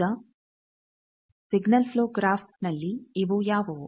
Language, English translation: Kannada, Now, in the signal flow graph what will be these